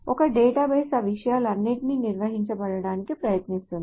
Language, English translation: Telugu, So the database tries to handle all of those things